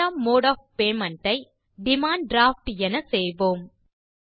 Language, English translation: Tamil, Next, lets type the second mode of payment as Demand Draft